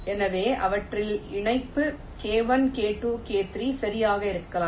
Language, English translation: Tamil, so their connectivity can be k one, k two, k three